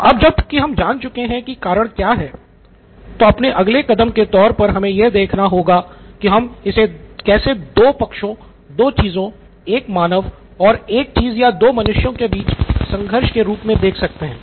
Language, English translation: Hindi, So the next was to see okay now that I have found out what is it that is causing that, how can I think about it as a conflict between two parties, two things, a thing a human and a thing or a between two humans